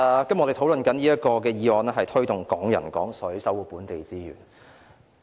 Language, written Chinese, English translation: Cantonese, 主席，我們今天討論的議案題為"推動'港人港水'，守護本地資源"。, President the motion we are discussing today is Promoting Hong Kong people using Hong Kong water and protecting local resources